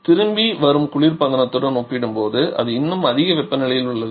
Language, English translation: Tamil, Where it is coming back it still has is at a higher temperature compared to the returning refrigerator